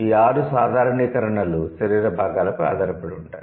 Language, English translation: Telugu, So, these six generalizations are based on the body parts